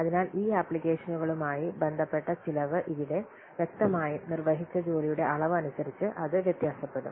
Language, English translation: Malayalam, So here the cost associated with these applications, obviously that will vary according to the volume of the work performed